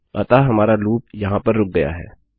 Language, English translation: Hindi, So, our loop here has stopped